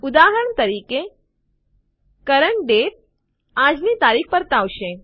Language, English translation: Gujarati, For example, CURRENT DATE returns todays date